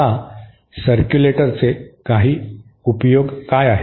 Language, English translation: Marathi, Now what are some applications of a circulator